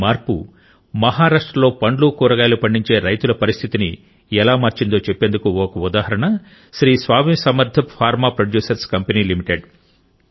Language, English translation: Telugu, An example of how this reform changed the state of farmers growing fruits and vegetables in Maharashtra is provided by Sri Swami Samarth Farm Producer Company limited a Farmer Producer's Organization